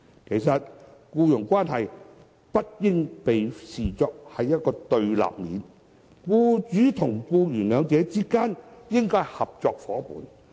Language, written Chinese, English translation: Cantonese, 其實僱傭關係不應被視作對立面，僱主與僱員之間應該是合作夥伴。, In fact employer - employee relationship should not be viewed as confrontational and employers and employees should be partners working in collaboration